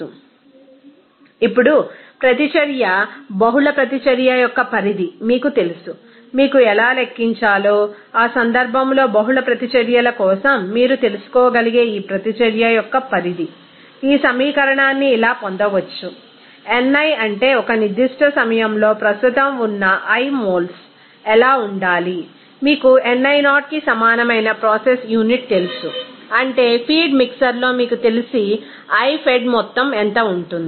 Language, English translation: Telugu, Now, you know that extent of reaction multiple reaction, how to you know calculate that, that case that for multiple reactions, this extent of reaction based on which you can you know, derive this equation as n i that means at a particular time what should be the moles of i present in that you know process unit that will be equal to ni0 that means what will be the amount of i fed you know in the feed mixer